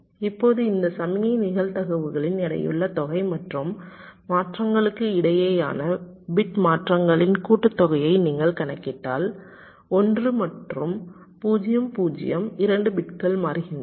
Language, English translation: Tamil, now if you calculate the weighted sum of this signal probabilities and the sum of the bit changes across transitions, like you see, two, between one, one and zero, zero, two bits change and what is the total probability